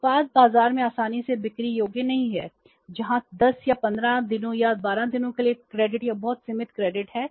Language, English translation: Hindi, The product is not easily saleable in the market as compared to the one where there is either no credit or the very limited credit of 10, 15 or 12 days